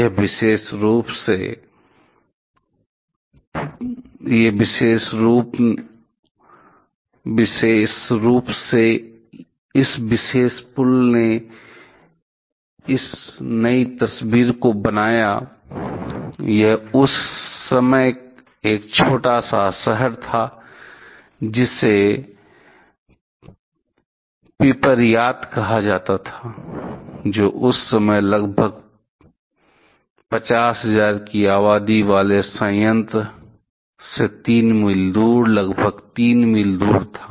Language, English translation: Hindi, This particularly; this particular bridge this a new picture, it is at there was a small town called Pripyat, which was just about 3 mile away, located at 3 mile away from the plant having a population of around 50000 that time